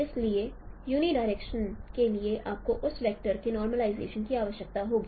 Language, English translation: Hindi, So for unit direction you need to do the normalization of that vector